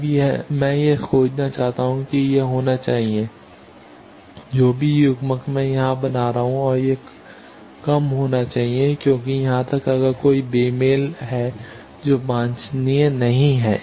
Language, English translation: Hindi, Now I want to find that this should be I whatever coupling I am making here and this should be low because even if there is a mismatch that is not desirable